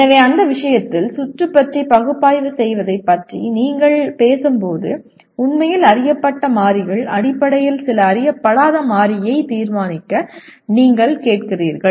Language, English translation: Tamil, So in that case when we are talking about analyzing the circuit what you really are asking for determine some unknown variable in terms of known variables